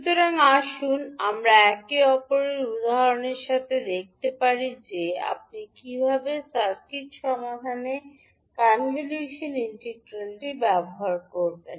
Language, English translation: Bengali, So let us see with one another example that how you will utilize the convolution integral in solving the circuit